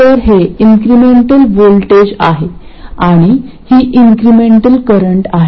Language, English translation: Marathi, So, this is the incremental voltage and this is the incremental current